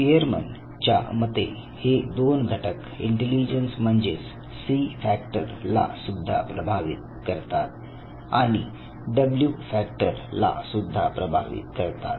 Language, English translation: Marathi, Now, according to spearman two other factors they also influence intelligence the C factor and the W factor